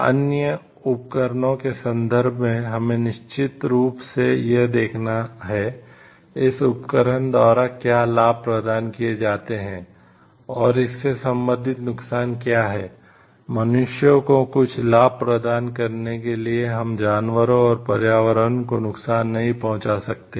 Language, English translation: Hindi, In terms of other equipments we have to definitely see: what is the benefit that is given by this equipments and what are the corresponding harm provided, in order to bring some benefit to the human, we cannot provide harm to the animals and to the environment at large